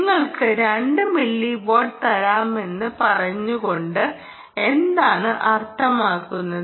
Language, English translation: Malayalam, what do you mean by saying it you will give you two milliwatts